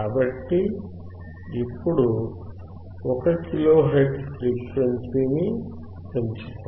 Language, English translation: Telugu, So now, let us keep increasing the frequency till 1 kilo hertz